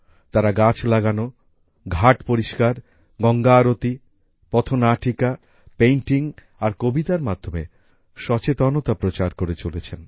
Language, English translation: Bengali, They are engaged in spreading awareness through planting trees, cleaning ghats, Ganga Aarti, street plays, painting and poems